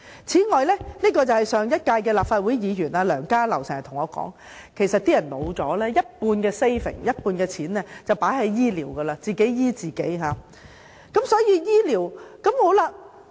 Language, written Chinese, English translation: Cantonese, 此外，上屆立法會議員梁家騮經常對我說，當市民老了，便會把一半的儲蓄用在醫療上，自費接受醫療服務。, Furthermore Dr LEUNG Ka - lau a Member of the last - term Legislative Council often told me that when people grew old they would have to use half of their savings to pay for medical services